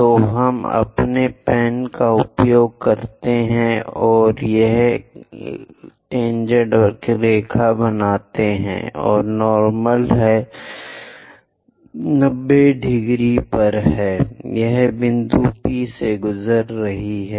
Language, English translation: Hindi, So, let us use our pens, this is tangent line, and normal is 90 degrees to it passing through point P